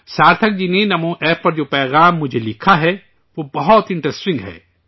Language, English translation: Urdu, The message that Sarthak ji has written to me on Namo App is very interesting